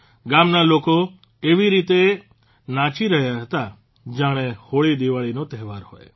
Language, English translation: Gujarati, The people of the village were rejoicing as if it were the HoliDiwali festival